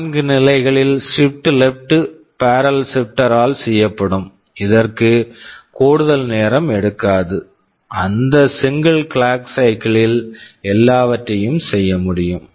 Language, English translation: Tamil, So shifted left by 4 positions will be done by the barrel shifter, it will not take any additional time, in that single clock cycle everything can be done